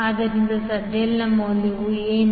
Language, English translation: Kannada, So, what will be the value of ZL